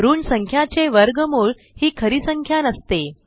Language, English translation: Marathi, As square root of negative number is not a real number